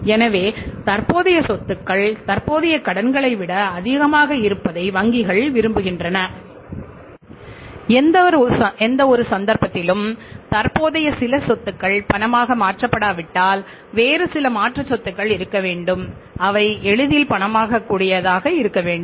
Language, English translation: Tamil, So, it means in this case banks wanted that if the current assets are more than the current liabilities and in any case if some of the current asset is not convertible into cash as and when we want it then there should be some other alternative asset available which can be easily converted into cash